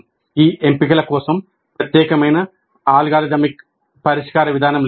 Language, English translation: Telugu, And for these choices, there is no unique algorithmic solution approach